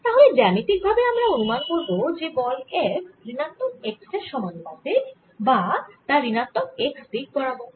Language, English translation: Bengali, so we already anticipate geometrically that the force f is going to be proportional to minus x or in the negative x direction